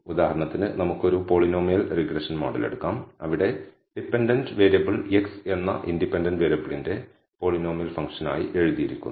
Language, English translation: Malayalam, For example, let us take a polynomial regression model where the dependent variable y is written as a polynomial function of the independent variable x